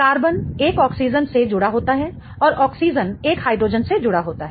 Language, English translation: Hindi, The carbon is connected to an oxygen and the oxygen is connected to a hydrogen